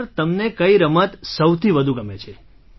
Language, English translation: Gujarati, Which sport do you like best sir